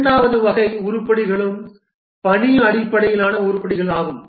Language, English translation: Tamil, The second category of items that are also present are the task based items